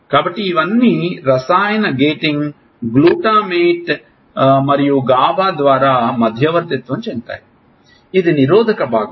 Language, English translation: Telugu, So, all this is mediated through chemical gating, glutamate and gaba which is the inhibitory part